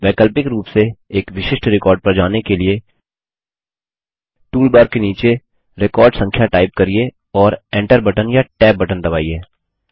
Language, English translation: Hindi, Alternately, to simply go to a particular record, type in the record number in the bottom toolbar and press enter key or the tab key